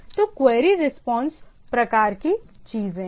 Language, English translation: Hindi, So, query response type of thing